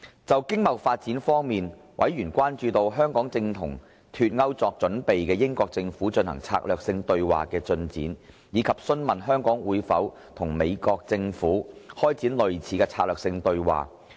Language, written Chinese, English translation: Cantonese, 就經貿發展方面，委員關注香港與正為脫歐作準備的英國政府進行策略性對話的進展，以及詢問香港會否與美國政府開展類似的策略性對話。, On economic and trade development members were concerned about the progress of the strategic dialogue with the United Kingdom Government in preparation for Brexit and enquired whether Hong Kong would initiate similar strategic dialogue with the United States Government